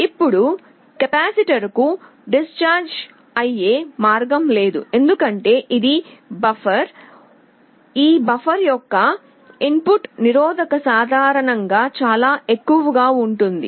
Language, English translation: Telugu, Now the capacitor does not have any path to discharge because this is a buffer, the input resistance of this buffer is typically very high